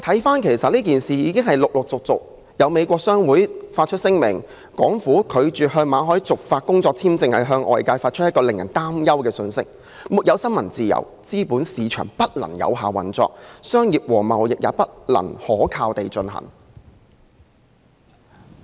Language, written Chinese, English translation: Cantonese, 就今次事件，美國商會已發出聲明表示，港府拒絕向馬凱續發工作簽證，是向外界發出一個令人憂慮的信息：沒有新聞自由，資本市場不能有效運作，商業和貿易也不能可靠地進行。, Regarding this incident the American Chamber of Commerce in Hong Kong has issued a statement . It states that the Hong Kong Governments rejection of a renewal of work visa for Victor MALLET sends a worrying signal and without a free press capital markets cannot properly function and business and trade cannot be reliably conducted